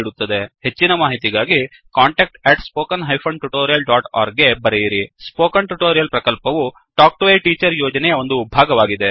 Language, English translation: Kannada, For more details, please write to contact@spoken tutorial.org Spoken Tutorial Project is a part of the Talk to a Teacher project